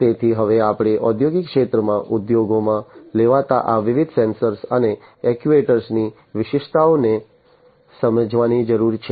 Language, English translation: Gujarati, So, we need to now understand the specificities of these different sensors and actuators being used in the industrial sector